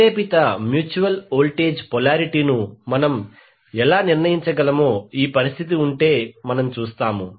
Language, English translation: Telugu, So we will see how if this is the condition how we can determine the induced mutual voltage polarity